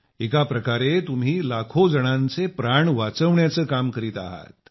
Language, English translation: Marathi, In a way, you are engaged in saving the lives of lakhs of people